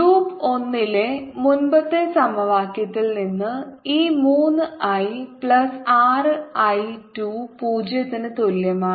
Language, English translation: Malayalam, and from the previous equation in loop one, this three, i plus r i two is equal to zero